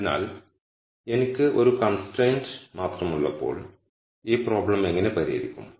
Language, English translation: Malayalam, So, when I have just only one constraint, how do I solve this problem